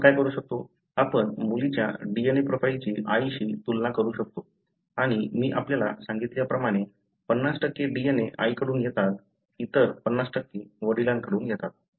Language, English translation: Marathi, So, what we can do is, we can compare the DNA profile of the daughter with the mother and as I told you, 50% of the DNA comes from mother; the other 50% comes from the father